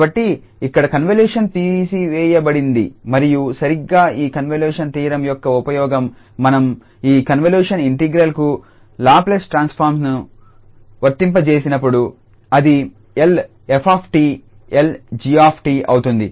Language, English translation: Telugu, So, the convolution is removed here and that is exactly the use of this convolution theorem that when we apply the Laplace transform to this convolution integral that becomes the Laplace of f into Laplace of g